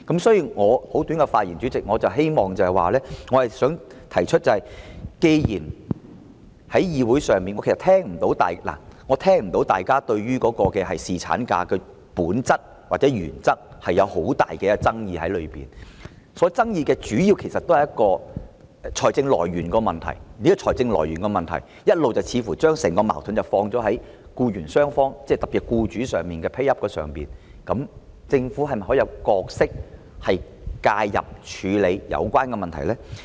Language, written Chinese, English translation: Cantonese, 所以，代理主席，我簡短發言，只是想提出，既然在議會上我聽不到大家對侍產假的本質或原則有很大的爭議，主要的爭議是財政來源的問題，而財政來源的問題，似乎一直將整個矛盾放在僱傭雙方，特別是僱主 pay up 上，政府是否可以擔當一個角色，介入處理有關問題呢？, I have not heard much controversy in this Council about the nature or principle of paternity leave . The main controversy is about the issue of funding which seems to have all along been portrayed as a conflict between employers and employees particularly in relation to the employers ability to pay . Can the Government play an intervening role to deal with the relevant issues?